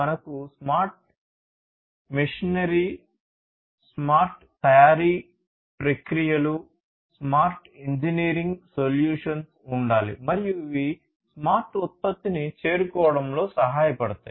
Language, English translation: Telugu, We need to have smart machinery, we need to have smart manufacturing processes, we need to have smart engineering solutions, and these can help in arriving at the smart product